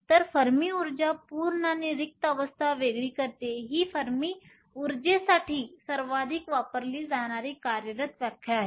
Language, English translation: Marathi, So, Fermi energy separates the full and empty states this is the most often used working definition for Fermi energy